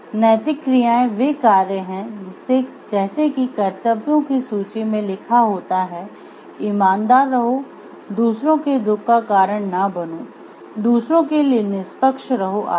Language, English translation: Hindi, Ethical actions are those actions that could be written down on a list of duties be honest don't cause suffering to other people be fair to others etc